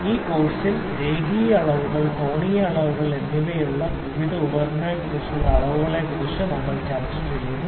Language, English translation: Malayalam, In this course we are discussing about the measurements about the various instruments for linear measurements, angular measurements